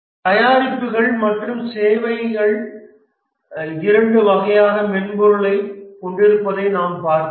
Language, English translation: Tamil, We have seen that there are two types of software, the products and the services